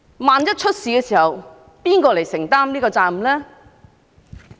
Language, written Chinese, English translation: Cantonese, 萬一發生事故，由誰承擔責任呢？, Who should be held responsible in case of incidents?